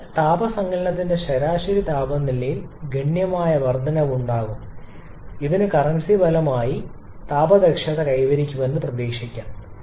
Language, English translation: Malayalam, So, there will be significant increase in the average temperature of heat addition and currency consequently we can expect gaining the thermal efficiency as well